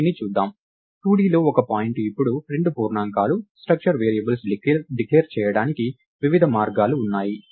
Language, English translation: Telugu, So, lets look at this a point in 2D is now two integers, there are different ways to declare structure variables